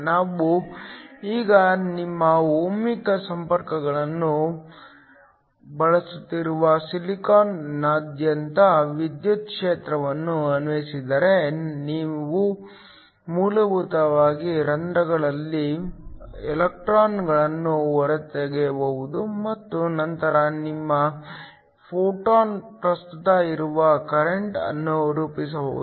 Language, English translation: Kannada, If we now apply an electric field across the silicon we’re using your ohmic contacts, we can basically extract the electrons in holes and then form a current which your photo current